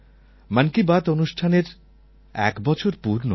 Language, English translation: Bengali, 'Mann Ki Baat' in a way has completed a year